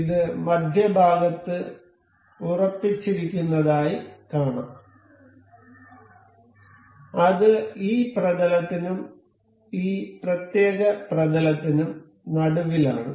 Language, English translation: Malayalam, So, we can see this is fixed in the center and it is in the middle of this plane and this particular plane